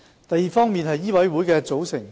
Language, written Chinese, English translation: Cantonese, 第二，醫委會的組成。, Second the composition of MCHK